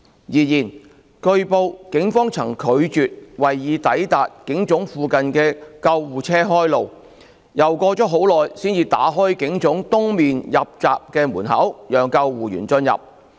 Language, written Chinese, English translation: Cantonese, 然而，據報警方曾拒絕為已抵達警總附近的救護車開路，又過了很久才打開警總東面入口閘門讓救護員進入。, However it has been reported that the Police refused to clear the way for the ambulances which had arrived in the vicinity of PHQ and only after a protracted period of time did they open the eastern entrance gate of PHQ for entry of the ambulancemen